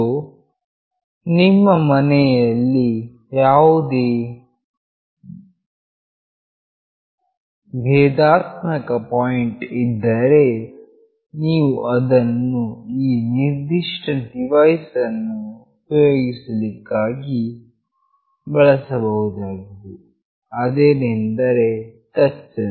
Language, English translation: Kannada, So, any vulnerable point in your house, you can consider that for using this particular device which is nothing but a touch sensor